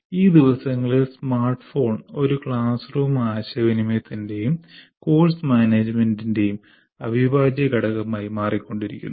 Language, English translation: Malayalam, These days the smartphone also is becoming an integral part of classroom interaction as well as course management